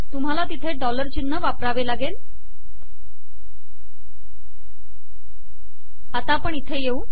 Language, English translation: Marathi, You need to include dollars here